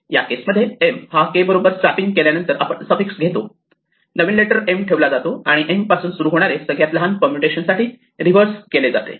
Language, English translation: Marathi, So, we do an insert kind of thing find the position in this case m to swap with k after swapping it we take the suffix after the new letter we put namely m and we reverse it to get the smallest permutation starting with that letter m